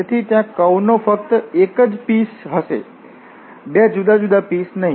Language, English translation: Gujarati, So, there will be only one piece of the curve not the 2 different pieces